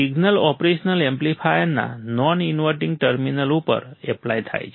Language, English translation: Gujarati, The signal is applied to the non inverting terminal of the operation amplifier